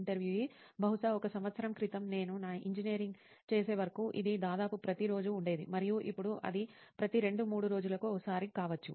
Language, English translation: Telugu, Maybe a year back, till I did my engineering it used to be almost every day and now maybe it is once every two to three days